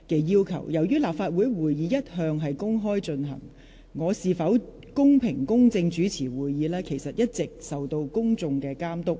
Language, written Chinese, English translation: Cantonese, 由於立法會會議一向公開進行，我是否公平、公正主持會議，會受公眾監督。, Given that Legislative Council meetings are open meetings whether I act fairly and impartially when I preside over these meetings will be subject to public scrutiny